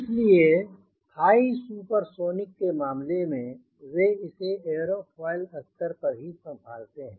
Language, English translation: Hindi, so for the high supersonic case, what is done is they handle it at a airfoil level